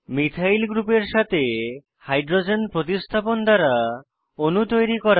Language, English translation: Bengali, * Build molecules by substitution of Hydrogen with Methyl group